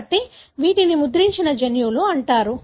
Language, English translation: Telugu, So, these are called as imprinted genes